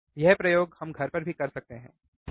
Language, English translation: Hindi, This experiment we can do even at home, alright